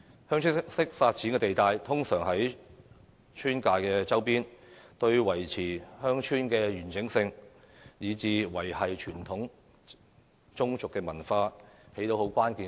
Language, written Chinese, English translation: Cantonese, "鄉村式發展"地帶通常位於村界周邊，對維持鄉村的完整性以至維繫傳統宗族文化有着關鍵作用。, The land zoned for Village Type Development is mainly located in the vicinity of villages which is vital to the maintenance of the integrity of villages and the preservation of the traditional clan culture